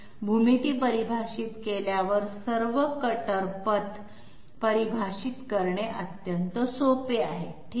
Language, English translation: Marathi, Once the geometries have been defined, it is extremely simple to define all the cutter paths okay